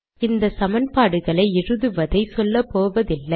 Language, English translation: Tamil, I am not going to explain how to write these equations